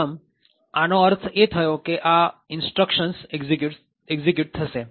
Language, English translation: Gujarati, So, this would mean that these instructions would get executed